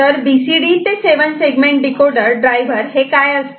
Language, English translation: Marathi, As for example, BCD to decimal and BCD to 7 segment decoder driver ok